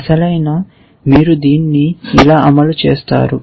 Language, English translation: Telugu, Actually, you do implement it like this